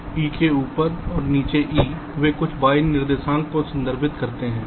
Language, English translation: Hindi, top of e and bottom of e, they refer to some y coordinates